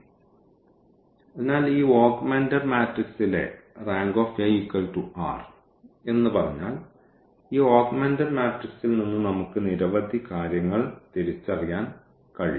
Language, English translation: Malayalam, So, if we say that the rank A is equal to this number r the number of pivots in our this augmented matrix then what we can observe from this augmented matrix we can identify so many things